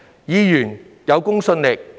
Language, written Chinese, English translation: Cantonese, 議員需有公信力。, Members must have credibility